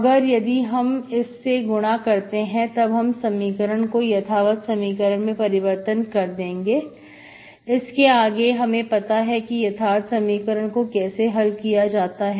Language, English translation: Hindi, If I multiply this, we can make the equation exact, so that I know how to solve the exact equation